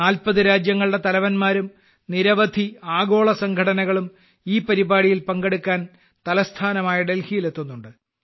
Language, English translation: Malayalam, Heads of 40 countries and many Global Organizations are coming to the capital Delhi to participate in this event